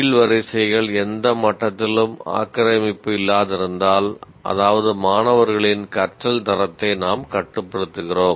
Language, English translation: Tamil, If the rows, the bottom rows are not populated at all at any level, then that means we are constraining the quality of learning of the students